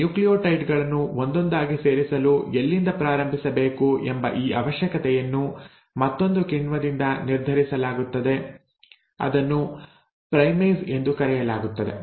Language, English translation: Kannada, Now this requirement of where to start adding these nucleotides one at a time, is brought about by another enzyme which is called as the primase